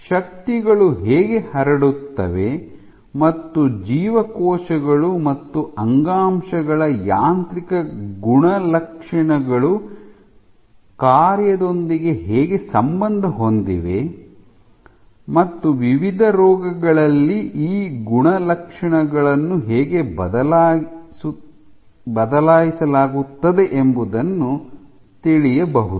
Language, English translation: Kannada, How forces are transmitted and how mechanical properties of cells and tissues correlate with the function with the function of tissues cells and tissues, and how these properties are altered in various diseased contexts ok